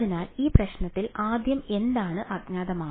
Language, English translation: Malayalam, So, first of all in this problem what was unknown